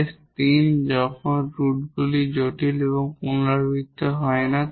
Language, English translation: Bengali, The case IV when the roots are complex and they are repeated